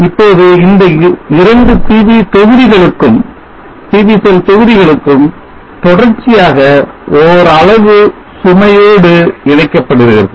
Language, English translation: Tamil, Now these two PV modules are connected in series to a extent load